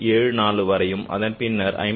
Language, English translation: Tamil, 74 and then between 54